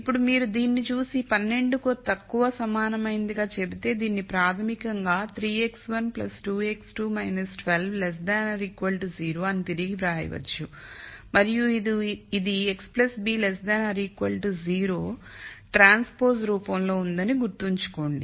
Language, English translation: Telugu, Now if you look at this and then say this less than equal to 12 it can be basically rewritten as 3 x 1 plus 2 x 2 minus 12 less than equal to 0 and remember that this is of the form in transpose x plus b less than equal to 0